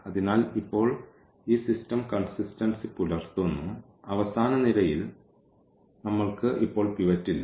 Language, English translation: Malayalam, So, now, this system is consistent, we do not have pivot in the last column now